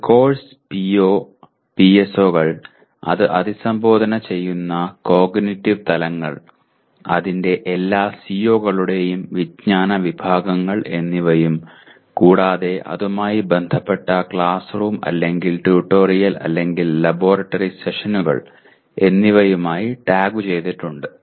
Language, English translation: Malayalam, A course is also tagged with the POs, PSOs it addresses, cognitive levels, knowledge categories of all its COs and classroom or tutorial or laboratory sessions that are associated with that